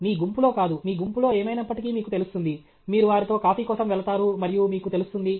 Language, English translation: Telugu, Not in your group; your group, any way, you will know; you will go for coffee with them and you will know